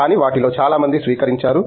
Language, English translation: Telugu, But, many of them adapt